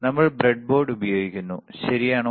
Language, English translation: Malayalam, We are using breadboard, we are using breadboard, all right